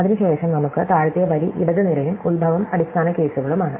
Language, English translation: Malayalam, Then we have the bottom row left column and the origin as base cases